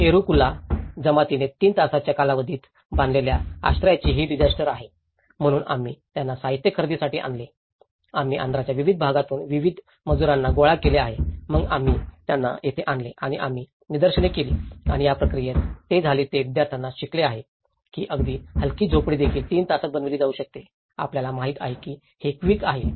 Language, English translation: Marathi, This is a disaster of shelter which has been built by yerukula tribe in 3 hoursí time, so we brought them procure the material, we collected the various labourers from different parts of Andhra and then we brought them here and we demonstrated and in this process, what happened is students have learned that even a lightweight hut can be made in 3 hours, you know which is very quick